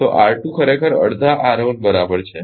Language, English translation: Gujarati, So, R 2 actually be R 1 by half right